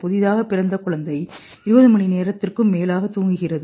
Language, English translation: Tamil, A newborn infant sleeps more than 20 hours